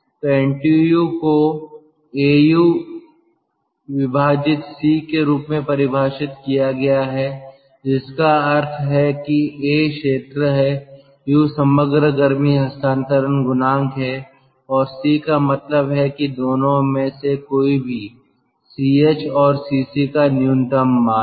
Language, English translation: Hindi, u divided by c mean, where a is the area, u is the overall heat transfer coefficient and c mean is the minimum of either of ch and cc